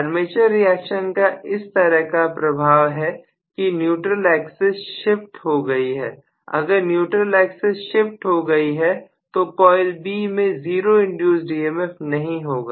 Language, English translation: Hindi, So the armature reaction has created an effect such that the neutral axis gets shifted, if the neutral axis is shifted coil B is not going to have 0 induced EMF